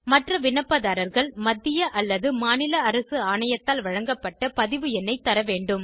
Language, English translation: Tamil, Other applicants may mention registration number issued by State or Central Government Authority